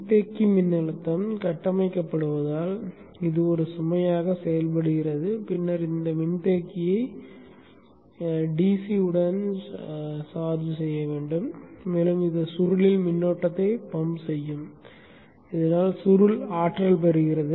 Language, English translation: Tamil, As the capacitor voltage builds up up this acts like load and then charges of this capacitor, this capacitor to the DC and it will pump current into the coil so that the coil gets energized